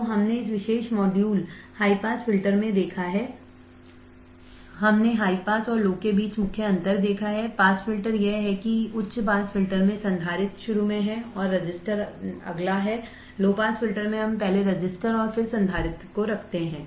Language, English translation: Hindi, So, we have seen in this particular module high pass filters, we have seen the main difference between high pass and low pass filters is that in the high pass filter the capacitor is at the starting and the resistor is next; in the low pass filter we feed the value to resistor and then to capacitor